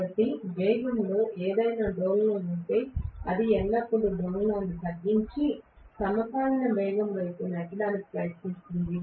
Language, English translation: Telugu, So if there is any oscillation in the speed, it will always try to damp out the oscillation and push it towards synchronous speed